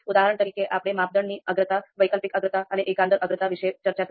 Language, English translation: Gujarati, For example; criteria priorities, alternative priorities and global priorities that we need to compute